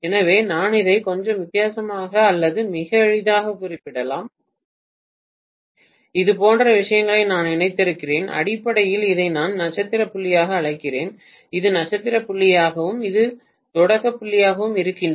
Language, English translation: Tamil, So I can mention this a little differently or much more easily as though I have connected these things like this and I am calling basically this as the star point, this as the star point and this also is the start point